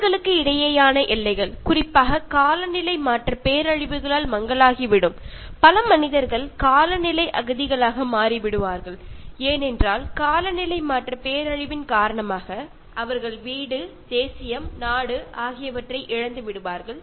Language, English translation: Tamil, And boundaries between countries will blur going to particularly climate change disasters, many human beings will become climate refugees, because they lost their home, their nationality, their country because of climate change disaster